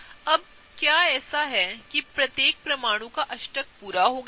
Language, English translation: Hindi, Now is it such that the octet of each atom is complete